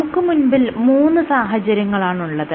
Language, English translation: Malayalam, What you have we have 3 situations